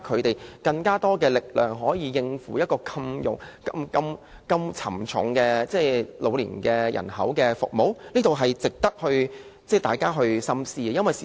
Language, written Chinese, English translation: Cantonese, 或者增加他們的力量，讓他們可以應付照顧龐大老年人口這麼沉重的工作，這值得大家深思。, Or will it enhance their capacity so that they can cope with the heavy workload of taking care of the massive elderly population . It warrants our contemplation